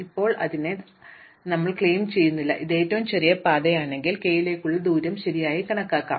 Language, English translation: Malayalam, We are not claiming it is, if it is the shortest path, then the distance to k will be correctly computed